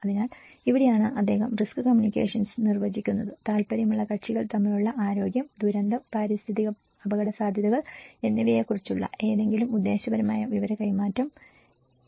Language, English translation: Malayalam, So, this is where he defines the risk communication is defined as any purposeful exchange of information about health, disaster, environmental risks between interested parties